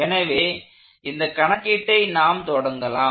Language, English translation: Tamil, So let start a doing the problem